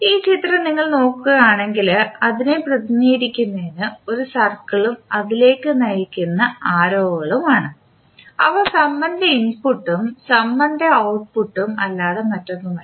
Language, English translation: Malayalam, If you see this figure it is represented by a circle and number of arrows directed towards it which are nothing but the input for the summer and one single arrow which is nothing but the output of the summer